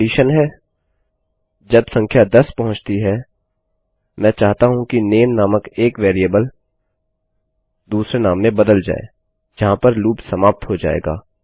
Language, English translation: Hindi, Now the condition when the number reaches 10, I want a variable called name, to be changed to another name in which the loop will stop